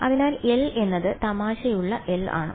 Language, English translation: Malayalam, So, L is the funny L right